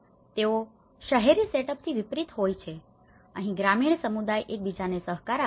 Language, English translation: Gujarati, It’s unlike an urban setup the rural community cooperate with each other